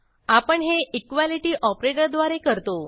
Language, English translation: Marathi, We do this using (===) the equality operator